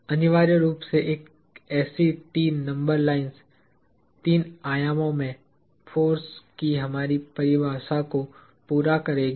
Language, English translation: Hindi, So, essentially three such number lines would complete our definition of a force in three dimensions